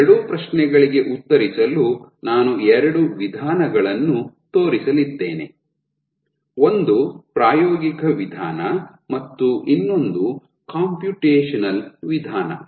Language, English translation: Kannada, So, to answer these two questions I am going to show two approaches one is an experimental one and then one is the computational one